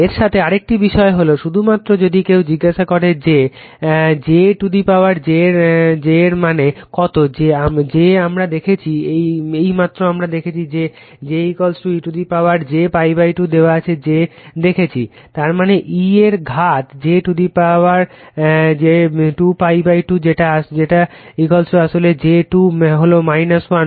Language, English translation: Bengali, Another thing is with that only suppose if somebody ask you , that your what is the value of j to the power j , j we have seen , just now we have seen j is equal to e to the power j pi by 2 to the power j; that means, e to the power , j square pi by 2 right that that is is equal to actually j square is minus 1